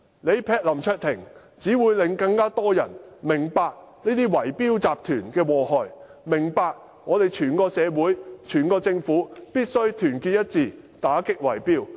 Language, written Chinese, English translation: Cantonese, 襲擊林卓廷，只會令更多人明白這些圍標集團的禍害，明白我們整個社會和政府必須團結一致，打擊圍標。, The minority owners have already awakened . Assaulting LAM Cheuk - ting will only make more people become aware of the harms done by these bid - rigging syndicates and understand that our entire community and the Government must unite together to combat bid - rigging